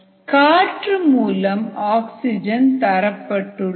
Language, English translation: Tamil, the source of oxygen was air